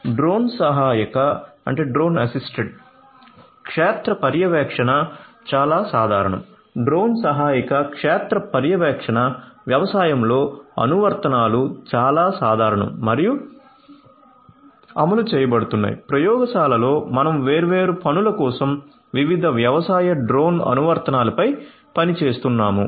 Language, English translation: Telugu, Drone assisted field monitoring is quite common drone assisted field monitoring applications in agriculture are quite common and are being implemented, we ourselves in the lab we are working on different agricultural drone applications for doing number of different things